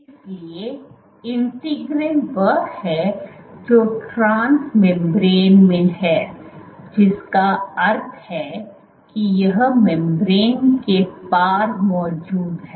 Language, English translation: Hindi, So, integrin is the one which is present transmembrane, which is present across the membrane